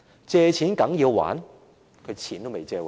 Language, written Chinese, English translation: Cantonese, "借錢梗要還"？, You have to repay your loans?